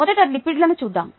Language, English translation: Telugu, let us first look at lipids